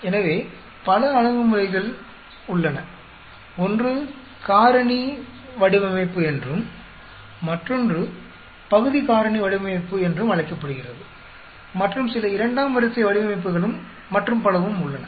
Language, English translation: Tamil, So, there are many approaches, one is called factorial design, then another one is called fractional factorial design, then there are some second order designs and so on